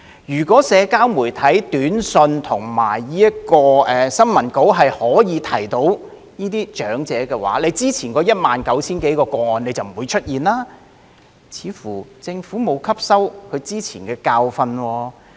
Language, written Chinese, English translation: Cantonese, 如果社交媒體、短訊及新聞稿可以提醒到這些長者，之前那19000多宗個案就不會出現，似乎政府並無吸收之前的教訓。, Had social media SMSs and press releases been able to remind these elderly people the previous 19 000 - odd cases would not have occurred . It seems that the Government has not learnt from the previous lesson